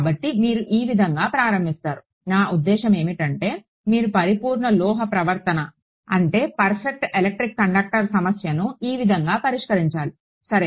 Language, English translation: Telugu, So, this is how you would start, I mean this is how you would solve problem with a perfect metallic conduct I mean perfect electric conductor ok